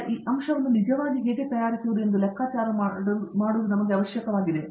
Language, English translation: Kannada, Now, it is necessary for us to figure out, how to actually manufacture this component